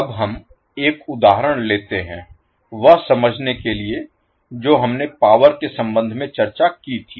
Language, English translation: Hindi, Now, let us take one example to understand what we have discussed in relationship with the power